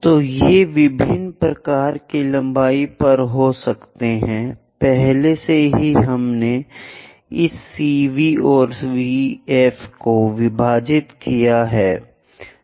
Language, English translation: Hindi, So, these can be at different kind of lengths already we made division for this CV and VF